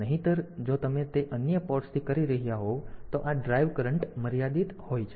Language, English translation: Gujarati, Otherwise if you are doing it for from other ports; so, this the drive current is limited